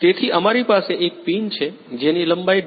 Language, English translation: Gujarati, So, we have a pin which is of length 2